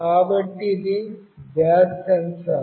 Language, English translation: Telugu, So, this is the gas sensor